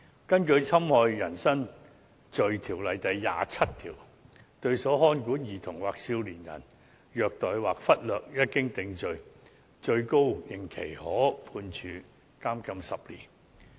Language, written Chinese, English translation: Cantonese, 根據《侵害人身罪條例》第27條，虐待或忽略所看管的兒童或少年人，一經定罪，最高刑期可判處監禁10年。, Under section 27 of the Offences against the Person Ordinance abuse or neglect of any child or young person by those in charge is liable to imprisonment for 10 years